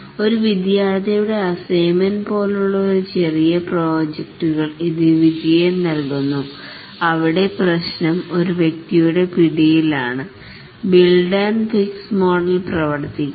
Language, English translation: Malayalam, This yields success for very small projects like a student assignment where the problem is within the grasp of an individual, the build and fixed model works